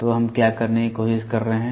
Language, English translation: Hindi, So, what are we trying to do